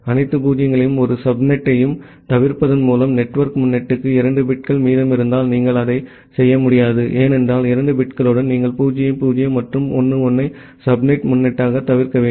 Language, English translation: Tamil, If 2 bits are remaining for the network prefix just by avoiding all zero’s and all one subnet, you will not be able to do that, because with 2 bits, you can you need to avoid 0 0 and 1 1 as the subnet prefix